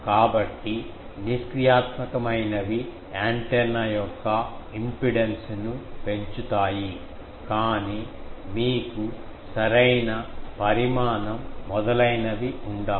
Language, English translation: Telugu, So, passive ones increase the impedance of the antenna, but you will have to have the proper dimension etc